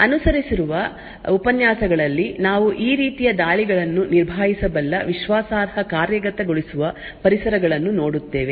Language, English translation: Kannada, In the lectures that follow we will be looking at Trusted Execution Environments which can handle these kinds of attacks